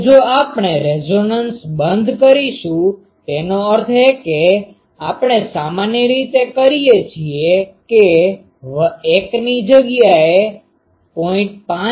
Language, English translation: Gujarati, Now, if we are off resonance; that means, generally we make that l is equal to instead of 0